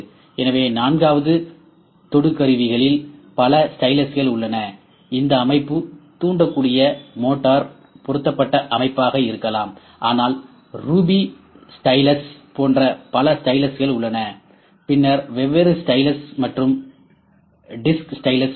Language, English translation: Tamil, So, in the fourth one multiple styluses probe, this system can be motorized system can be inductive, but we have multiple styluses once on this like ruby stylus, then different stylus, and disc stylus different styluses are there